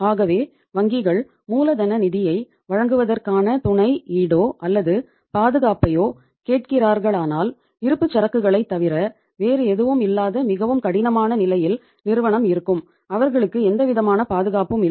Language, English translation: Tamil, So if the banks are asking for the collateral or security for providing the working capital finance so firm will be at the say means in a very difficult state other than inventory they do not have any security to be given